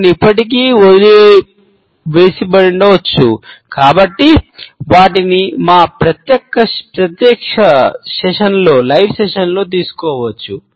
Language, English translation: Telugu, Some maybe is still left out, but they can be taken up during our live sessions